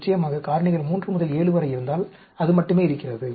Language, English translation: Tamil, Of course, if the factors are 3 to 7, only it exists